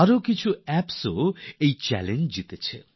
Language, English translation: Bengali, Many more apps have also won this challenge